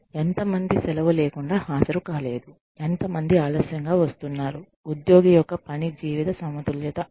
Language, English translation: Telugu, How many people are absent, without leave tardiness, how many people are late, work life balance of the employee